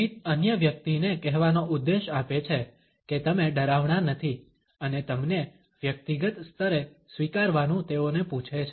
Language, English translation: Gujarati, Smiling search the purpose of telling another person you are none threatening and ask them to accept you on a personal level